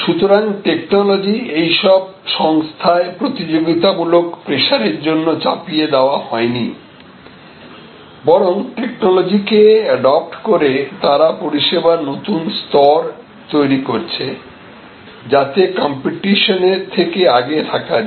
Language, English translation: Bengali, So, technology is not thrust upon these organizations competitive pressure, but they create new service levels by adopting technology aid of the competition